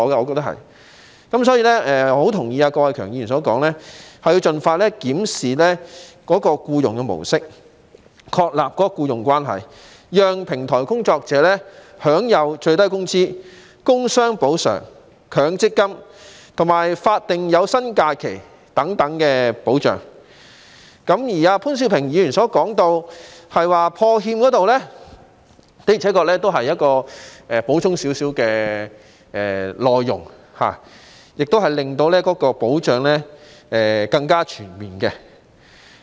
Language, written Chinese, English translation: Cantonese, 所以，我十分同意郭偉强議員所說，應盡快檢視僱傭的模式，確立僱傭關係，讓平台工作者享有最低工資、工傷補償、強制性公積金和法定有薪假期等保障；而潘兆平議員提到破產欠薪保障基金方面，的確是稍稍補充了議案的內容，亦令保障更全面。, I therefore agree very much with Mr KWOK Wai - keung who suggested that the Government should expeditiously review the mode of employment and affirm the presence of an employment relationship so as to enable platform workers to enjoy such protection as minimum wage work injury compensation the Mandatory Provident Fund and paid statutory holidays . As for the proposal put forward by Mr POON Siu - ping in respect of the Protection of Wages on Insolvency Fund it has indeed supplemented the contents of my motion and made the protection to be provided more comprehensive